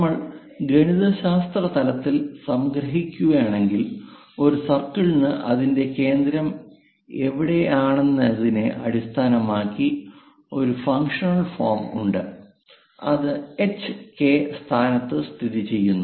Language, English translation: Malayalam, If we are summarizing at mathematical level; a circle have a functional form based on where exactly center is located, if it is located at h and k location